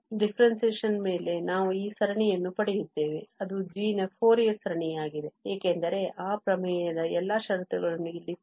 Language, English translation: Kannada, So, on differentiation we get this series which is the Fourier series of g prime because all these condition of that theorem fulfilled here